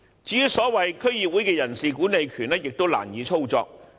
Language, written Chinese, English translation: Cantonese, 至於所謂區議會的人事管理權亦難以操作。, As for the so - called powers of staff management of DCs operation could be rendered difficult too